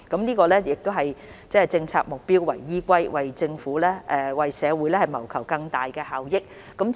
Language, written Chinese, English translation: Cantonese, 這是以政策目標為依歸，為社會謀求更大效益。, It aims to seek greater benefits for the community pursuant to policy objectives